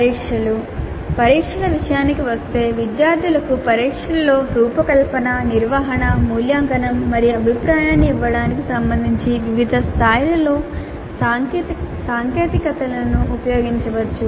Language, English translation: Telugu, Then tests when it comes to test technologies can be used at different levels with regard to designing, conducting, evaluating and giving feedback in test to the students